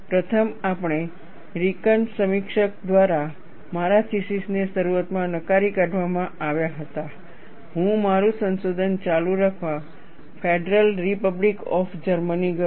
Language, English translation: Gujarati, After having my theses initially rejected by the first American reviewer, I went to the Federal Republic of Germany, to continue my research' and the story goes like this